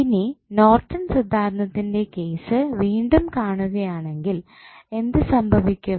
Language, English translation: Malayalam, Now, if you see again in case of Norton's Theorem what will happen